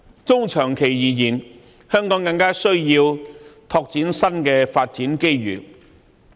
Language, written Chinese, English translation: Cantonese, 中長期而言，香港更需要拓展新的發展機遇。, In the medium - to - long term it is all the more necessary for Hong Kong to open up new opportunities of development